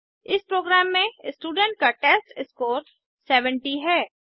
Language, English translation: Hindi, Now, change the testScore of the student to 70